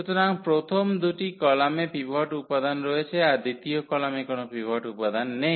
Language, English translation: Bengali, So, the first two columns have pivot element that third column does not have pivot element